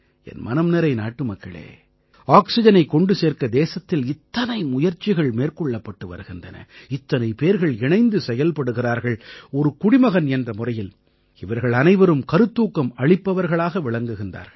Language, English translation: Tamil, My dear countrymen, so many efforts were made in the country to distribute and provide oxygen, so many people came together that as a citizen, all these endeavors inspire you